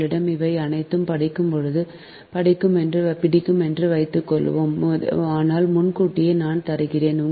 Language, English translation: Tamil, suppose you have all these things, will study, but in advance i am giving